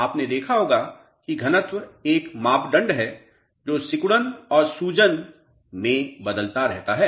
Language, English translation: Hindi, You must have noticed density is a parameter which keeps on changing in both shrinking as well as swelling